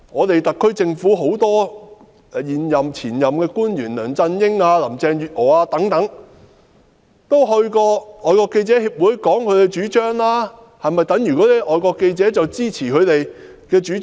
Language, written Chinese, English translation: Cantonese, 特區政府很多現任和前任的官員，包括梁振英、林鄭月娥等，也到過外國記者會發表其主張，這是否等於外國記者會支持他們的主張？, Many former and incumbent officials of the SAR Government including LEUNG Chun - ying Carrie LAM etc had previously expressed their views at FCC . Does this mean that FCC supports their ideas?